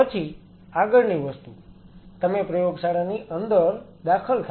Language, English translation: Gujarati, Then the next thing you enter inside the lab